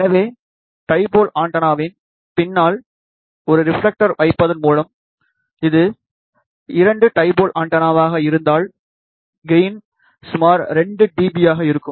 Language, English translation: Tamil, So, just by putting a reflector behind the dipole antenna, suppose if it is a lambda by 2 dipole antenna, gain will be approximately 2 dB